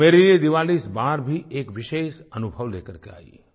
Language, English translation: Hindi, To me, Diwali brought a special experience